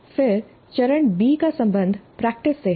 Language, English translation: Hindi, Then the phase B is concerned with practice